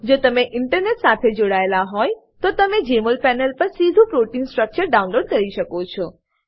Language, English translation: Gujarati, If you are connected to Internet, you can directly download the protein structure on Jmol panel